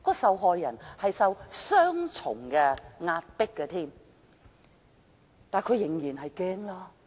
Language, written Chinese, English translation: Cantonese, 受害人受到雙重壓迫，會感到很害怕。, The victims will be frightened as they are subject to pressure from both sides